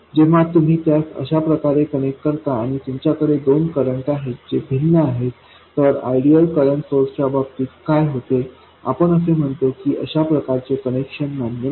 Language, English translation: Marathi, When you do connect it up like this and you do have two currents which are different, what happens in case of ideal current sources we say that such a connection is not permitted